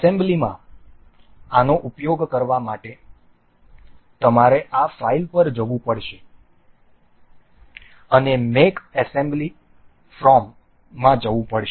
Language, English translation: Gujarati, To use this in assembly you have to go to this file go to make assembly from part